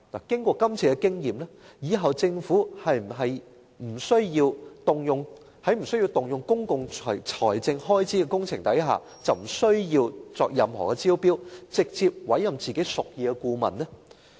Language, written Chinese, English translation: Cantonese, 經過今次的經驗，是否政府以後針對不需要動用公共財政開支的工程，便可不需要作任何招標，直接委任自己屬意的顧問呢？, With this experience does it mean that the Government can in future directly appoint its preferred consultants without tendering for projects that do not incur public expenditure?